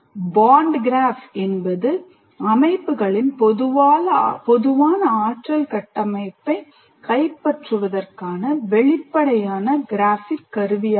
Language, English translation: Tamil, For example, Barn graph is an explicit graphic tool for capturing the common energy structure of the systems